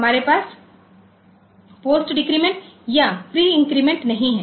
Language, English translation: Hindi, We do not have post decrement or pre increment